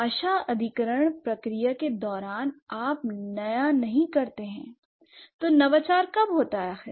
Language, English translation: Hindi, So, during the language acquisition process, you don't innovate